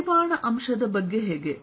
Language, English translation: Kannada, how about the volume element